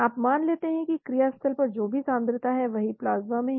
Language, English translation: Hindi, You assume that at the site of action whatever be the concentration is same as what is in the plasma